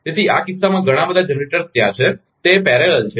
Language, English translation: Gujarati, So, in this case, so many generators are there and they are in parallel